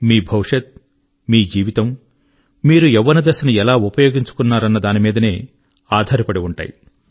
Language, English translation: Telugu, Your life & future entirely depends on the way your utilized your youth